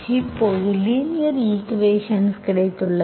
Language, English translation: Tamil, Now we have got the linear equation